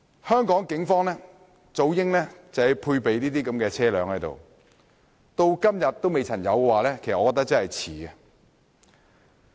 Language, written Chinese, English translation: Cantonese, 香港警方早應配備這類車輛，可是至今仍未有這種裝備，我認為真的有點遲。, The Police in Hong Kong should have been equipped with such vehicles long ago . However they are still yet to have them up till now . I think this is indeed a bit late